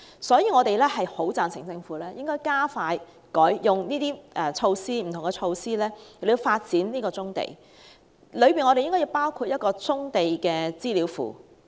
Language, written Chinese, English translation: Cantonese, 所以，我們十分贊成政府用不同的措施加快發展棕地，當中應該包括設立棕地資料庫。, Therefore we very much agree that the Government should speed up the development of brownfield sites through various measures including the establishment of a brownfield database